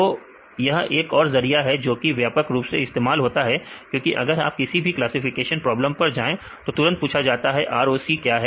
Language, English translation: Hindi, So, this another one is currently is widely used because if you go for any classification problems; now immediately will ask what is ROC